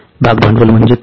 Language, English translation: Marathi, What is the share capital